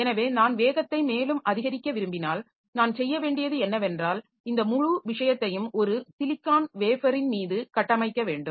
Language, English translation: Tamil, So, if I want to increase the speed further, what I need to do is that I should fabricate this whole thing onto a single silicon wafer